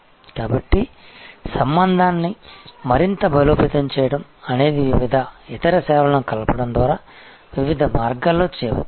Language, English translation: Telugu, So, the relationship deepening can be done in various ways by bundling different other services